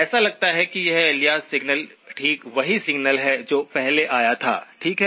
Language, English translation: Hindi, It so turns out that this alias signal is exactly the same signal that came before, okay